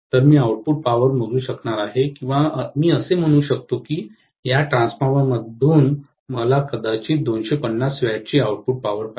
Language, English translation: Marathi, So, I may be able to measure the output power or I may say that I want an output power of maybe 250 watts from this transformer